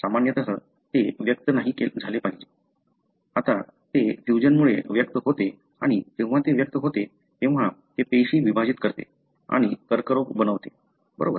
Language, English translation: Marathi, Normally it should not express, now it expresses because of the fusion and when it expresses, it drives the cell to divide and divide and form cancer, right